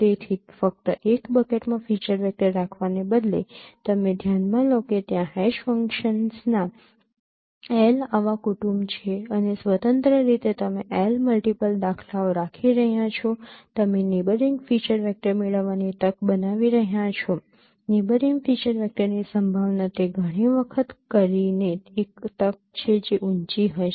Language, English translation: Gujarati, So instead of keeping a feature vector only in one bucket you consider there are L such family of hash functions and independently you are keeping L multiple instances by doing you are you are making the chance of getting neighboring feature vector the probability of neighboring feature vector would be high that is the chance by doing it times